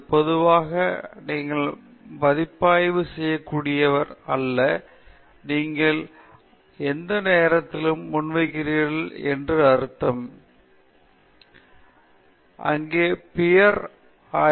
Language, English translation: Tamil, It’s not peer reviewed in general, any time you present it, I mean, you are just there, you are discussing with people in front of you, and you are presenting it